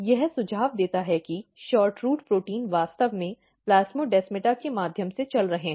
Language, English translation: Hindi, This suggest that SHORTROOT protein is actually moving through the plasmodesmata